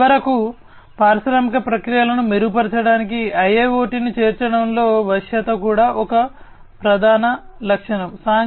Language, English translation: Telugu, And finally, the flexibility this is also a prime feature of the incorporation of IIoT for improving upon industrial processes